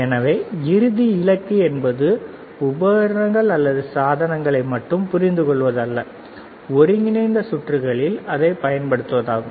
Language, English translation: Tamil, So, the final goal is not to understand just the equipment or just the devices or just the integrated circuits final goal is to apply it